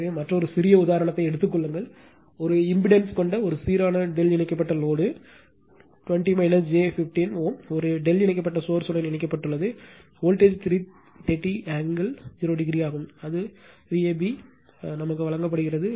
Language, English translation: Tamil, So, take another small example; a balanced delta connected load having an impedance 20 minus j 15 ohm is connected to a delta connected source the voltage is 330 angle 0 degree that is V ab is given